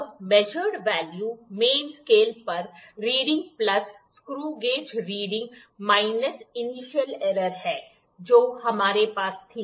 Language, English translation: Hindi, Now the measured value measured value is main scale main scale reading plus screw gauge, screw gauge reading minus the error the initial error whatever we had